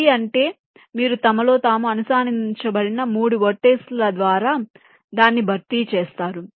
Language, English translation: Telugu, three means you replace it by three vertices which are connected among themselves